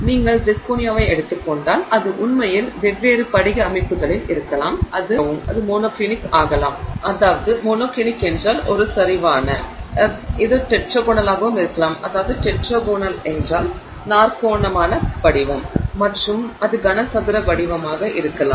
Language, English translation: Tamil, If you take zirconia it can actually exist in different you know crystal structures, it can be monoclinic, it can be tetraginal and it can be cubic